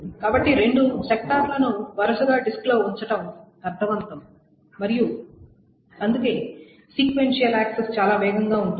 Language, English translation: Telugu, So it makes sense to put the two sectors sequentially on the disk and that is why sequential access is much fast